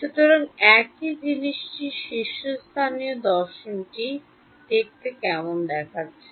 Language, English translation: Bengali, So, a top view of the same thing what does it look like